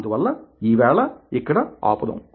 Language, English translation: Telugu, so, for today, here we stop